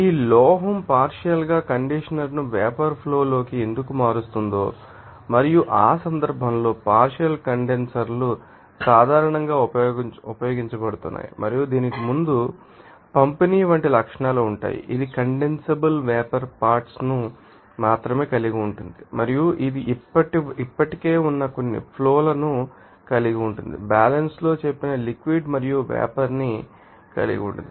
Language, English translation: Telugu, This is you know that the you know mechanism by who is that you know why that metal will be partly condenser into a vapor stream and in that case partial condensers generally being used and it will have the you know, characteristics like you know pre distribute contains only condensable vapor components and also it will you know have some existing streams that will contain the liquid and vapor have we who said in equilibrium